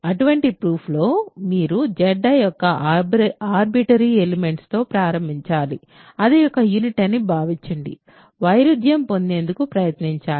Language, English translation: Telugu, So, in any such proof you have to start with an arbitrary element of Z i assume that it is a unit and try to derive a contradiction